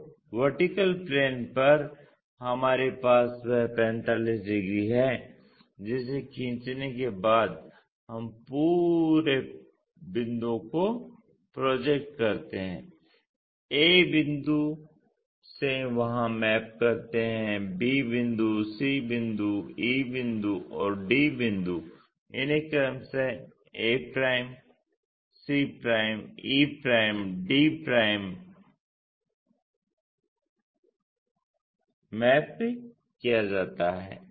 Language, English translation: Hindi, So, on the vertical plane we have that 45 degrees after drawing that we project the complete points from a point map there, b point, c point, e point and d point these are mapped to respectively a' points, c', e' points, d', e' points